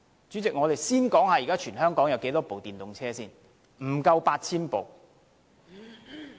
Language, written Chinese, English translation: Cantonese, 主席，我們先說現時全港有多少部電動車：不足 8,000 部。, President let us first consider how many electric cars there are in Hong Kong . The answer is fewer than 8 000